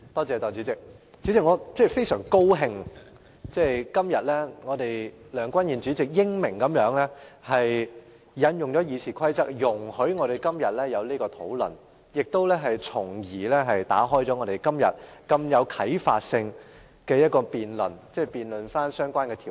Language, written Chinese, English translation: Cantonese, 代理主席，我非常高興梁君彥主席今天英明地引用《議事規則》，容許我們進行這項討論，從而打開如此具啟發性的辯論，辯論相關條例。, Deputy President I am extremely glad that President Andrew LEUNG has wisely invoked the Rules of Procedure today to allow us to conduct this discussion and this discussion will lead us to an enlightening debate on the relevant legislation